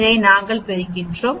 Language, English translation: Tamil, So this is varying